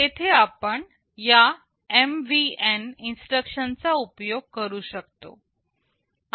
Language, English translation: Marathi, There you can use this MVN instruction